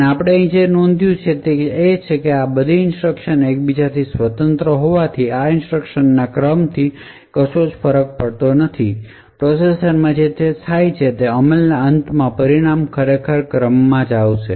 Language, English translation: Gujarati, So, what we notice over here is that eventually since all of these instructions are independent of each other the ordering of these instructions will not matter, what does matter eventually and what is done in the processor is at the end of execution the results are actually committed in order